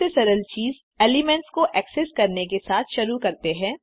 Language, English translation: Hindi, Let us begin with the most elementary thing, accessing individual elements